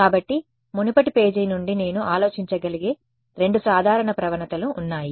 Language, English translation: Telugu, So, there are two simple gradients I can think of from the previous page